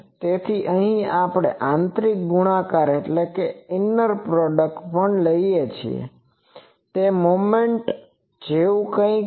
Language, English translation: Gujarati, So, here also we take a inner product it is something like the moment